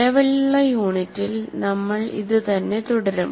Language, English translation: Malayalam, Now in the present unit, we'll continue with the process